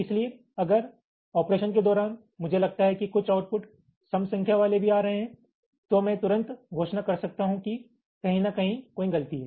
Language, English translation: Hindi, so if during operation i find that some of the output is coming with odd not odd even number of wants, then i can declare immediately that there is a fault somewhere